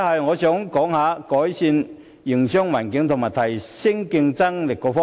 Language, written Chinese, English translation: Cantonese, 我想談談改善營商環境及提升競爭力的措施。, I would like to speak on the initiatives which seek to improve business environment and enhance our competitiveness